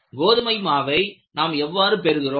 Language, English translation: Tamil, How do you get the wheat flour